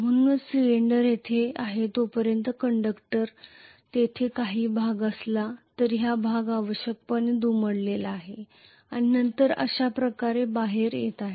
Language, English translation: Marathi, So this will extent only as long as the cylinder is there after that the conductor whatever the portion here, this portion is essentially folding up and then coming out like this